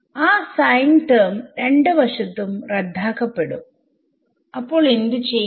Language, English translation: Malayalam, So, that sin term will not cancel off on both sides then what will you do